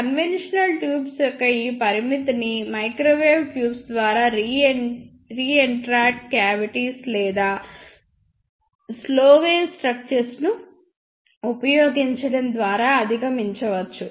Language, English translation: Telugu, This limitation of conventional tubes can be overcome by microwave tubes by using reentrant cavities or the slow wave structures